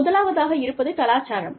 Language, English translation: Tamil, The first one is culture